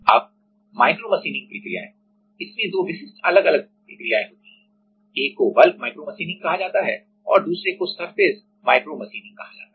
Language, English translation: Hindi, Now, micro machining processes, in that there two specific different process: one is called bulk micromachining and another is called surface micromachining